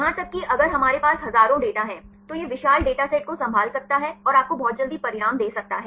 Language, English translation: Hindi, Even if we have thousands of data, it can handle the huge data sets and give you the results very quickly